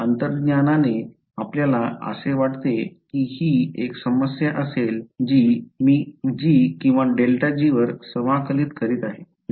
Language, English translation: Marathi, Intuitively do you think this will be a problem what is, am I integrating g or grad g